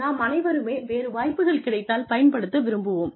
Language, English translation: Tamil, We all have opportunities, that we want to make use of